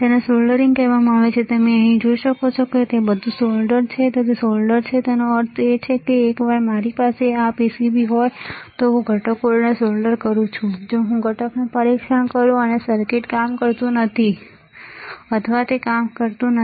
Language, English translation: Gujarati, It is called soldering, you can see here it is all soldered it is solder; that means, that once I have this PCB I solder the components if I test the component, and circuit may not work or it is not working